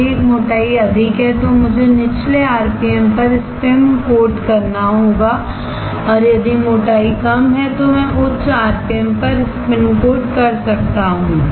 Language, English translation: Hindi, If a thickness is higher then I have to spin coat at lower rpm, and if the thickness is lower, then I can spin coat at higher rpm